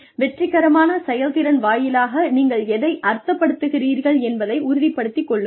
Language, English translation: Tamil, Make sure, what you mean by successful performance